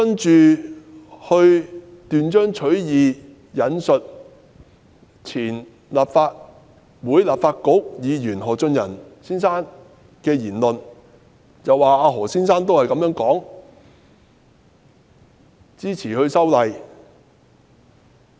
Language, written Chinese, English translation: Cantonese, 然後，她斷章取義地引述前立法局議員何俊仁的言論，指何俊仁亦表示支持修例。, Then she quoted out of context the words uttered by Albert HO when he was a Member of the then Legislative Council arguing that Albert HO also supported the proposed legislative amendments